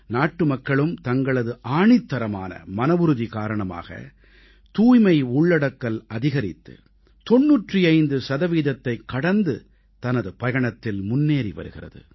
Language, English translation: Tamil, On account of the unwavering resolve of our countrymen, swachchata, sanitation coverage is rapidly advancing towards crossing the 95% mark